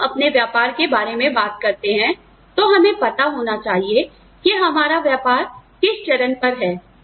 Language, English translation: Hindi, When we talk about our business, we need to know, what stage our business is at